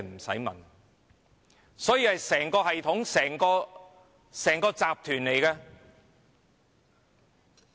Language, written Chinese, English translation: Cantonese, 這是一整個系統、一整個集團。, An entire system an entire group is in operation